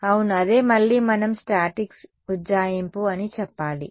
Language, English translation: Telugu, Yeah, well that is again should we say that is the statics approximation